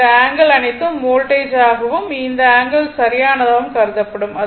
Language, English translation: Tamil, So, all this angle you have to voltage and angle you have to consider right